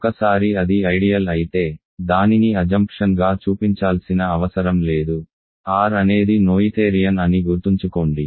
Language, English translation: Telugu, Once it is an ideal, we have shown that we do not need to show it is an assumption, remember R is noetherian